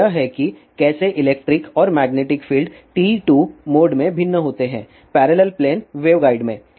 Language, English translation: Hindi, So, this is how electric and magnetic fields vary in TE 2 mode in parallel plane wave guide